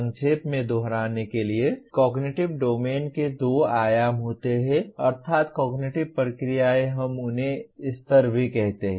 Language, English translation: Hindi, Okay to recap, cognitive domain has two dimensions namely cognitive processes; we also call them levels